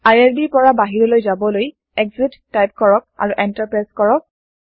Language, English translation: Assamese, To exit from irb type exit and press Enter